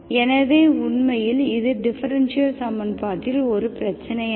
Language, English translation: Tamil, So actually this is not an issue, it is not an issue with the differential equation